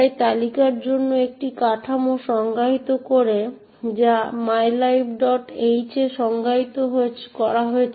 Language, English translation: Bengali, It defines a structure for the list which is defined in mylib